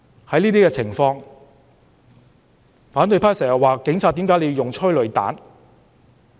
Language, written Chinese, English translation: Cantonese, 對於這些情況，反對派經常問警方為何要用催淚彈。, In these cases the opposition camp often asks the Police why they used tear gas